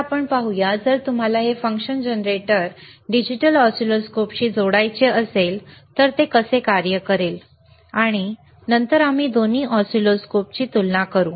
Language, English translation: Marathi, Right now, let us see, that if you want to connect this person function generator to the digital oscilloscope how it will operate, aall right, and then we will compare both the oscilloscopes